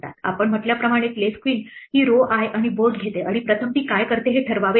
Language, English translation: Marathi, Place queen we said takes the row i and the board and the first thing it does it has to determine